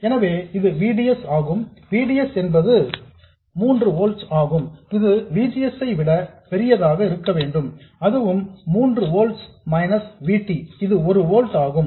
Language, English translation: Tamil, So, this is VDS, VDS is 3 volts, it should be greater than VGS which is also 3 volts, minus VT which is 1 volt